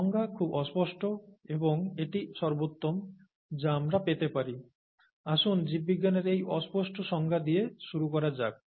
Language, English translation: Bengali, And that is the best that we can get, and let us start with the vaguest definition in biology pretty much